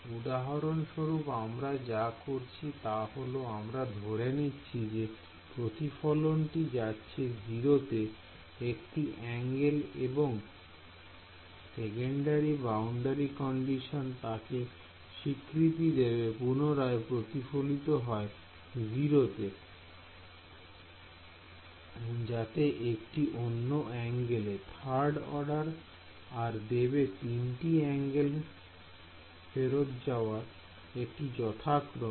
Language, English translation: Bengali, So, for example, what are we doing we are imposing that the reflection go to 0 at 1 angle a second order boundary condition will allow you to make the reflection go to 0 at 2 angles, 3rd order will allow you to do it at 3 angles and so on